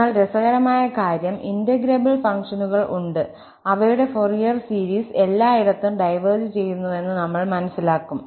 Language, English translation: Malayalam, But the interesting point is that there are integrable functions and we can write down their Fourier series, but at the end, we will realize that this Fourier series diverges everywhere